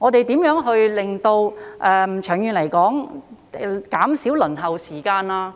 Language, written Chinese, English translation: Cantonese, 長遠來說，我們要看看如何減少輪候時間。, In the long run we need to find a way to reduce the waiting time